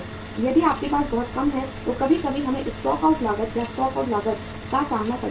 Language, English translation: Hindi, if you have too low, sometime we have to face the stock out cost and stock out cost is very very high